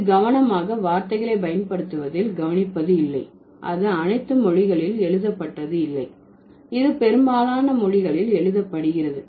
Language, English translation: Tamil, It's not, notice the use of the word carefully, it's not written all languages, it's written most languages